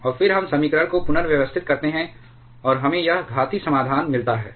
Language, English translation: Hindi, And then we rearrange the equation, and we get this exponential solution